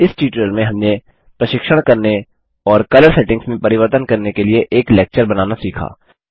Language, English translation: Hindi, In this tutorial we learnt to create a lecture for training and modify colour settings